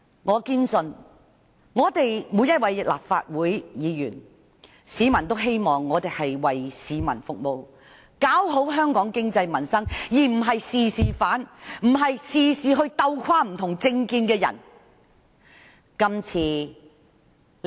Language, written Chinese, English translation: Cantonese, 我堅信，市民希望每位立法會議員均為市民服務，搞好香港經濟民生，而不是凡事反對，鬥垮不同政見的人。, I firmly believe that the public expect every legislator to serve the public and work to improve the economy and the peoples livelihood rather than objecting to everything in order to beat those with different political views